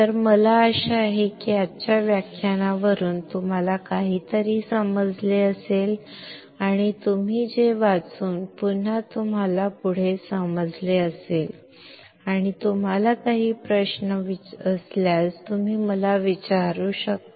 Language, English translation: Marathi, So, I hope that you have understood something from today's lecture, and you read it you understand further, and if you have any questions you can ask me